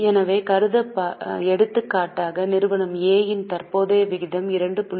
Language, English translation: Tamil, So, for example if company A has current ratio of 2